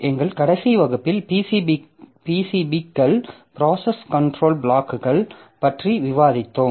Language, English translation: Tamil, So, in our last class we have discussed something about the PCBs, the process control blocks